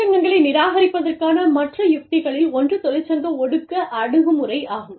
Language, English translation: Tamil, The other strategy of avoiding unions, is the union suppression approach